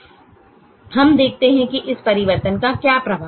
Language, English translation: Hindi, now we see what is the effect of this change